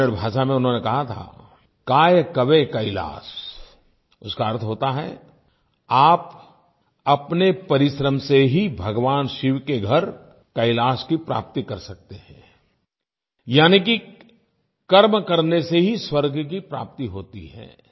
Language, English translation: Hindi, He had mentioned in Kannada "Kaay Kave Kailas"… it means, it is just through your perseverance that you can obtain Kailash, the abode of Shiva